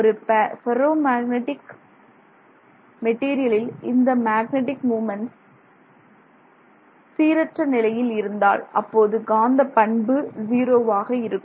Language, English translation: Tamil, So, if you take a ferromagnetic material, you will see zero magnetism from that material if the magnetic moments are randomly oriented, right